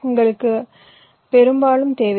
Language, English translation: Tamil, you always do not need their